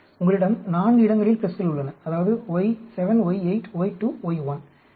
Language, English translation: Tamil, You have 4 places plus; that is, y7, y8, y2, y1